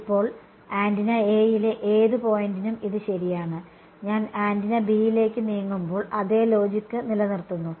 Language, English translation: Malayalam, Now, and this is true for any point on the antenna A, when I move to antenna B the same logic holds